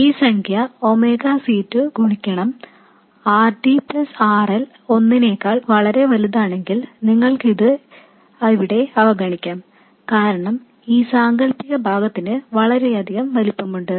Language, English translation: Malayalam, And you see that if this number here, omega C2 times RD plus RL is much greater than 1, then you can neglect this 1 here because this imaginary part has much greater magnitude and then this J omega C2 will cancel off